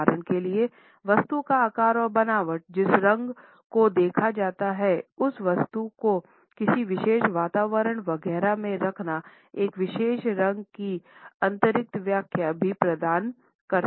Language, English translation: Hindi, For example, the shape and the texture of the object on which the color is seen, the placing of this object in a particular environment etcetera also provide additional interpretations of a particular color